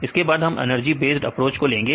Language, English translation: Hindi, Then using the then we did the energy based approach